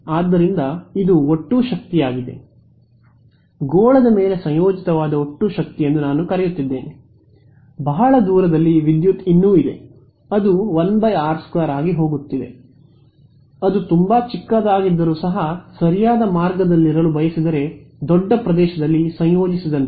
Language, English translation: Kannada, So, this is total power I am calling it total power integrated over sphere if I go very, very far away the power is still there it's going as 1 by r square right even though it becomes very very small, I am also integrating over a large area if you want being over that way right